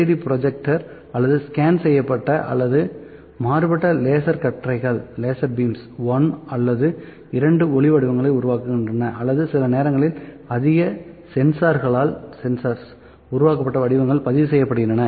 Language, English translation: Tamil, Either the LCD projector or scanned or diffractive laser beams projects the light pattern 1 or 2 or sometimes more sensors records the projected patterns